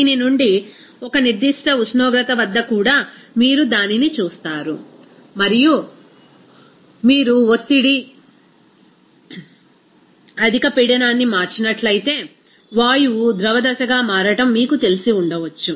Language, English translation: Telugu, Even at a particular temperature from this, you will see that and if you change the pressure, high pressure you will see that the gas maybe you know converting into a liquid phase